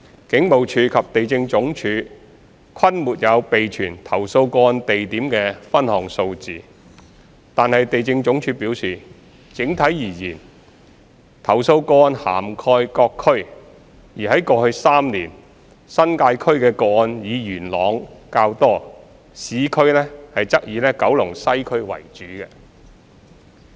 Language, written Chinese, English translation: Cantonese, 警務處及地政總署均沒有備存投訴個案地點的分項數字，惟地政總署表示，整體而言，投訴個案涵蓋各區，而在過去3年，新界區的個案以元朗較多，市區則以九龍西區為主。, While both the Police and LandsD do not keep any statistical breakdown of the complaints by location as indicated by LandsD in overall terms the complaints involve various districts with relatively more cases in Yuen Long and Kowloon West insofar as the New Territories and the urban areas are concerned respectively in the past three years